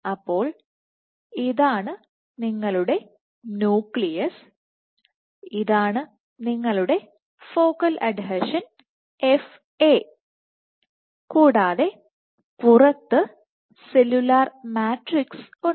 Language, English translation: Malayalam, So, this is your nucleus, this is your focal adhesion, this is FA and outside you have the extra cellular matrix